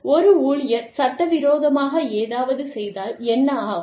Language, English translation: Tamil, What happens, if an employee does, something illegal